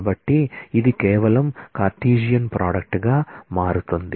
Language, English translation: Telugu, So, it merely turns out to be a Cartesian product